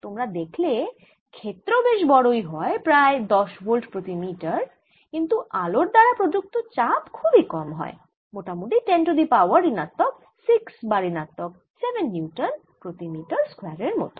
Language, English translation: Bengali, you see that field are quietly large of the order of ten volt per metre and pressure applied by light is very, very small, of the order of ten raise to minus six or ten raise to minus seven newton's per metres square